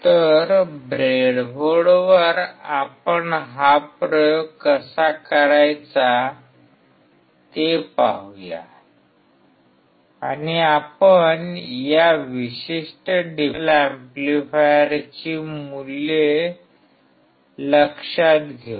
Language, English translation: Marathi, So, let us see how to do this experiment on the breadboard and we will note down the values for this particular differential amplifier